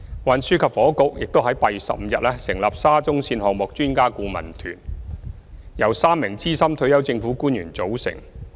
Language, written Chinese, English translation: Cantonese, 運輸及房屋局亦於8月15日成立沙中線項目專家顧問團，由3名資深退休政府官員組成。, The Transport and Housing Bureau also set up an Expert Adviser Team EAT for the SCL project on 15 August . EAT comprises three senior retired government officers